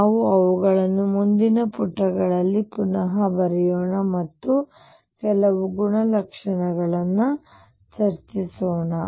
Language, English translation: Kannada, Let us rewrite them on the next page and discuss some of the properties